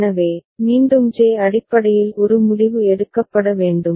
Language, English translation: Tamil, So, again a decision is to be made based on J